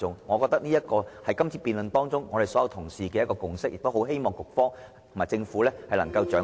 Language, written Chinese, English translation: Cantonese, 我認為，這一點是在今次辯論中，我們所有議員的共識，希望局方及政府能夠掌握......, I think that such is the consensus of all Members in this debate so I hope the Food and Health Bureau and the Government can grasp Thank you President